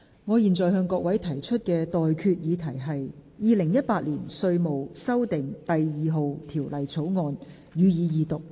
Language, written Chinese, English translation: Cantonese, 我現在向各位提出的待決議題是：《2018年稅務條例草案》，予以二讀。, I now put the question to you and that is That the Inland Revenue Amendment No . 2 Bill 2018 be read the Second time